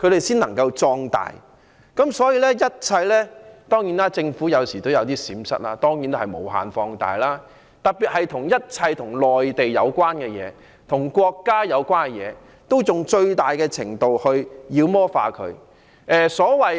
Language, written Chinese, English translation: Cantonese, 當然，政府有時也會有閃失，那他們當然會抓緊機會把這些閃失無限放大，特別是一切與內地和國家有關的事，進行最大程度的妖魔化。, Certainly sometimes the Government will blunder then they would certainly seize the opportunity to magnify such blunders to the fullest extent particularly anything related to the Mainland and the country and demonize them to the fullest extent